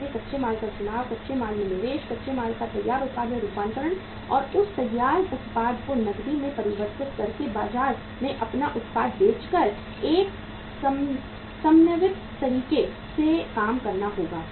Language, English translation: Hindi, So the choice of raw material, investment in raw material, conversion of raw material into finished product and converting that finished product into cash by selling their product in the market has to be in a synchronized manner